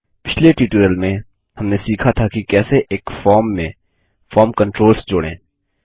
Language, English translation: Hindi, In the last tutorial, we learnt how to add form controls to a form